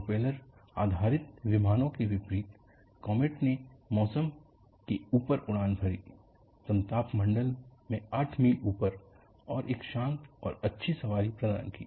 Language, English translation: Hindi, A jet airliner, in contrast to propeller based planes,comet flew above the weather, 8 miles up in the stratosphere, and provided a quiet and smooth ride